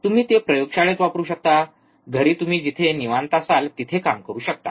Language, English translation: Marathi, You can use at laboratory, home you can work at home wherever you are comfortable